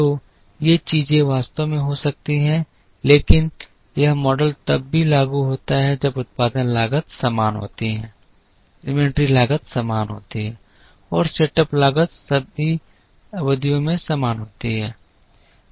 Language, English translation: Hindi, So, these things can actually happen, but this model is also applicable when the production costs are the same, the inventory costs are the same and the setup costs are the same across all periods